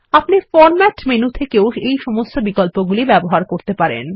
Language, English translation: Bengali, You can also access all these options from the Format menu